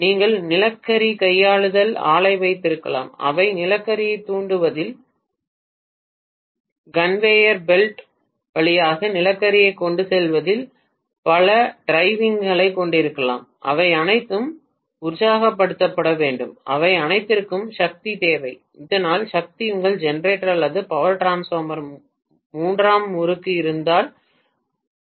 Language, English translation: Tamil, You may have coal handling plant which will have n number of drives maybe in pulverizing the coal, transporting the coal through the conveyor belt and so on and so forth, all of them need to be energized, all of them need power so that power might come from the tertiary winding of your generator or power transformer itself